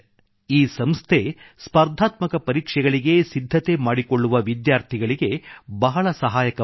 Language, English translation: Kannada, This organisation is very helpful to students who are preparing for competitive exams